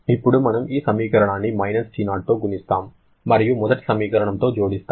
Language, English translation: Telugu, Now, we multiply this equation with –T0 add with the first equation